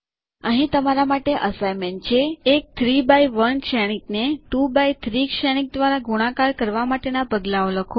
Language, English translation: Gujarati, Here is an assignment for you: Write steps for multiplying a 2x3 matrix by a 3x1 matrix